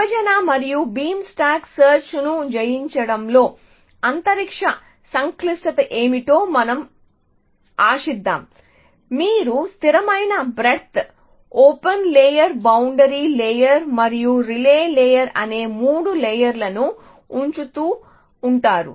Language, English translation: Telugu, Let us hope what is the space complexity of divide and conquer beam stack search, it is constant you are just keeping three layers of constant width, the open layer, the boundary layer and the relay layer